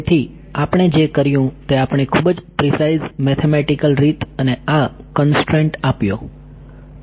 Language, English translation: Gujarati, So, what we did is we sort of gave a very precise mathematical way of arriving and this constraint